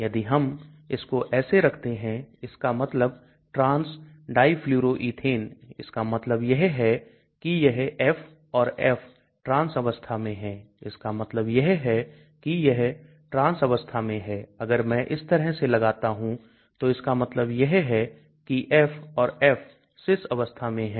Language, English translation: Hindi, So if we put like this it means trans difluoroethene that means these F and F are in the trans form that means it is in the trans form if I put like this that means F and F are this cis form